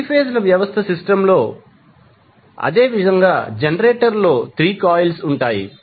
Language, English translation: Telugu, So, the same way in case of 3 phase system the generator will have 3 coils